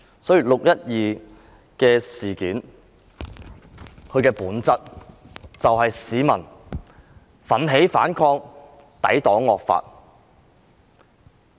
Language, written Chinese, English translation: Cantonese, 所以，"六一二"事件的本質就是市民奮起反抗，抵擋惡法。, Therefore the essence of the 12 June incident was the peoples vigorous resistance to defy the evil law